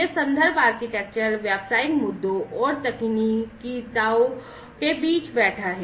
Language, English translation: Hindi, So, it is basically this reference architecture is sitting between the business issues and the technicalities